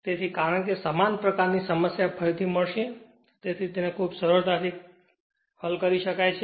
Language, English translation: Gujarati, So, because similar type of problem later you will get it so, one can do it very easily right